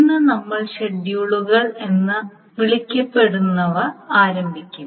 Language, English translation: Malayalam, So today we will start on something which is called schedules